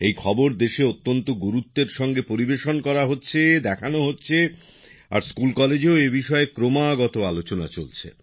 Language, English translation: Bengali, And such news is shown prominently in the country today…is also conveyed and also discussed in schools and colleges